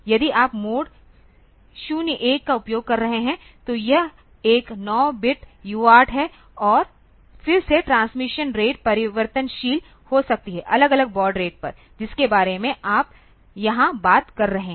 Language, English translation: Hindi, If you are using the mode 0 1; so, it is a 9 bit UART and then this that I will be now the transmission rate can be variable the different baud rates that you are talking about here